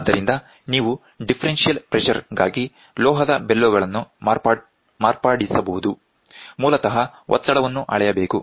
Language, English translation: Kannada, So, you can modify the metallic bellows for differential pressure basically, pressure has to be measured